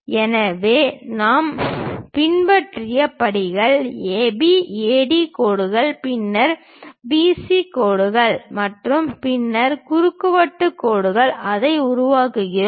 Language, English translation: Tamil, So, the steps what we have followed AB, AD lines then BC lines and then CD lines we construct it